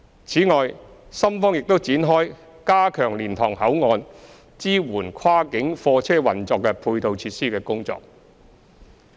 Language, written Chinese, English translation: Cantonese, 此外，深方亦已展開加強蓮塘口岸支援跨境貨車運作的配套設施的工作。, In addition the Shenzhen side has also commenced work to enhance the auxiliary facilities at Liantang Port to support the operation of cross - boundary goods vehicles